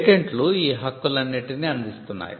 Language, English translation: Telugu, Now, patents offer all these sets of rights